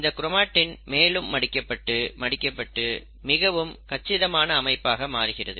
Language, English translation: Tamil, Now each chromatin further twists and folds to form a very compact structure and that is what you call as chromosome